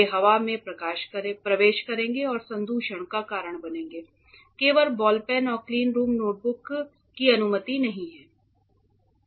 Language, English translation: Hindi, They will enter the air and cause contamination or ink pens also for that matter are not allowed, only ball pens and cleanroom notebooks